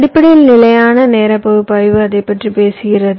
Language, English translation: Tamil, so static timing analysis basically talks about that